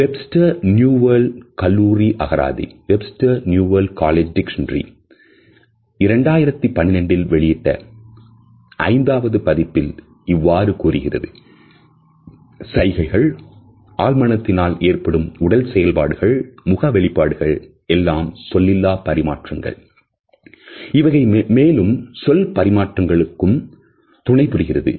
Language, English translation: Tamil, Webster’s New World College Dictionary in it is Fifth Edition, which came out in 2012 defines it as “gestures unconscious bodily movements facial expressions etcetera, which service nonverbal communication or as accompaniments to a speech”